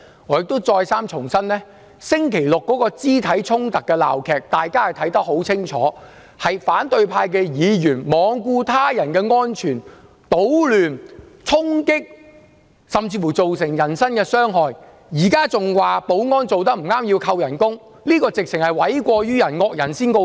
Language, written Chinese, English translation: Cantonese, 我亦再三重申，在剛過去的星期六的肢體衝突的鬧劇，大家看得很清楚，反對派議員罔顧他人安全，搗亂、衝擊，甚至造成人身傷害，現在還要指斥保安人員做得不妥，要求削減他們的薪酬，這實在是諉過於人，"惡人先告狀"。, I would like to reiterate that in the ugly physical confrontations last Saturday we could all see very clearly that Members of the opposition camp paid no regard to the safety of others created disturbances engaged in physical scuffles and caused personal injuries . They are just trying to lay all the blame on others now by accusing our security staff of not performing their duties properly and proposing to cut their emoluments when the accusing finger should instead be more fittingly pointed at themselves